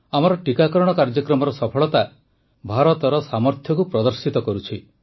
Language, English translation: Odia, The success of our vaccine programme displays the capability of India…manifests the might of our collective endeavour